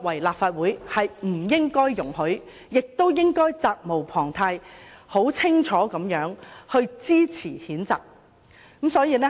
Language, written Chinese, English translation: Cantonese, 立法會不應該容許這種行為，應該很清楚地支持譴責，責無旁貸。, The Legislative Council should not condone this kind of behaviour and therefore is duty - bound to support the censure motion